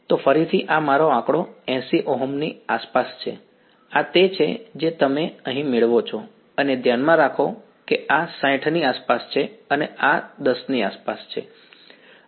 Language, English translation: Gujarati, So, again this is my figure around 80 Ohms, this is what you get over here and mind you this is around 60 and this is around 10